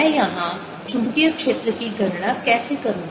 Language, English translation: Hindi, how do i calculate the magnetic field here